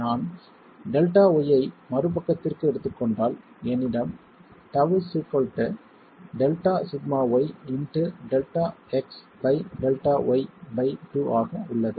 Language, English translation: Tamil, If I take delta y to the other side, then I have tau is equal to delta sigma y into delta x by delta y by 2 there